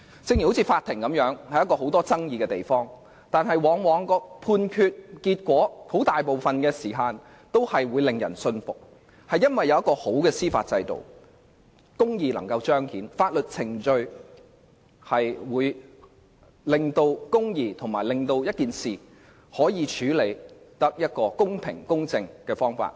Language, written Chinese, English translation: Cantonese, 正如在法庭上，雖然有很多爭議，但判決大多令人信服，這是因為有良好的司法制度，以致公義能夠彰顯，有關事宜可按法律程序得到公平公正的處理。, Similarly in the case of courts though there are many disputes the judgments are mostly accepted by the public . The reason is that a good judicial system is in place to ensure that justice can be manifested and matters can be dealt with fairly and justly according to legal procedures